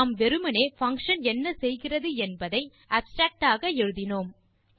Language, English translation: Tamil, We just added an abstract of what the function does